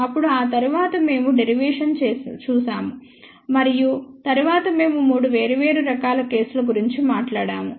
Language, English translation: Telugu, Then, after that we had looked at the derivation and then, we talked about 3 different cases